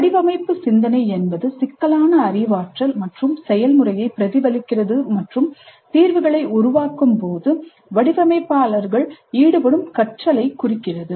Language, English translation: Tamil, Design thinking reflects the complex cognitive process of inquiry and learning that designers engage in while developing the solutions